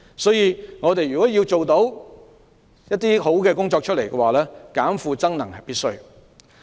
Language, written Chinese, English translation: Cantonese, 所以，如果我們要做好教育工作，"減負增能"是必要的。, So if we want to do a proper job of education we must reduce workload and enhance energy